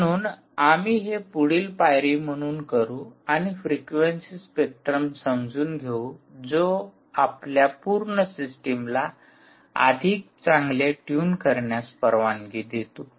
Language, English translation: Marathi, so we will do that as a next step and try and understand the frequency spectrum, ok, ah, which will allow us to tune our complete system much better